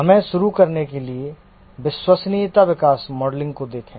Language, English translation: Hindi, Let's look at reliability growth modeling to start with